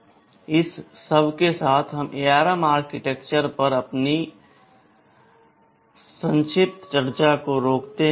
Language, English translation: Hindi, With all this, we stop our brief discussion on the ARM architectures